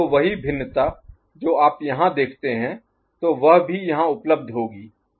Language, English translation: Hindi, So, the same variation that you see over here, so that will also be available here